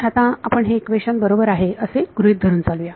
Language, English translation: Marathi, So, for now let us just assume that this equation is correct